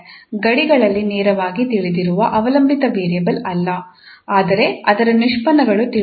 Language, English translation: Kannada, Now not the dependent variable directly known at the boundaries but its derivative is known